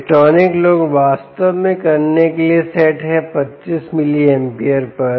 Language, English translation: Hindi, ah electronic load, indeed, is set to ah twenty five milliamperes